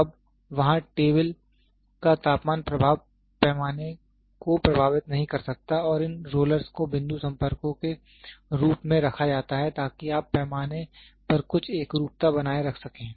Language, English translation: Hindi, So, now, there the temperature influence of the table cannot influence the scale and these rollers are kept as point contacts, so that you can maintain certain uniformity across the scale